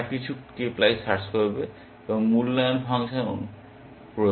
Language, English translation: Bengali, They will do some k ply search, apply the evaluation function